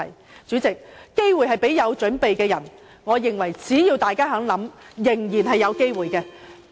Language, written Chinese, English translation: Cantonese, 代理主席，機會是留給有準備的人，我認為只要大家願意多想，仍然是有機會的。, Deputy President opportunities are for the prepared and I think if we are willing to give some more thoughts chances will still be available